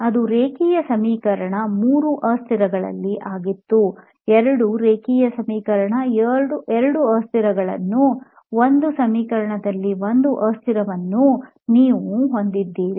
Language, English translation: Kannada, Ok that was linear equation in three variables when two variables you had two variables one variable, one variable